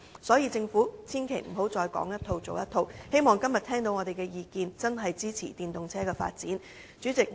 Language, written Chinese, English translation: Cantonese, 所以，政府千萬不要再說一套，做一套，希望今天聽到我們的意見後，會真正支持電動車發展。, So the Government should match its words with its deeds . I hope that after listening to our views today it will truly support the development of EVs